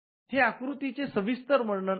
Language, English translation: Marathi, This is the detailed description